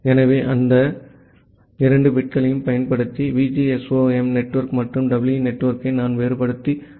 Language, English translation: Tamil, So, this using this next two bits, I can differentiate between VGSOM network and the EE network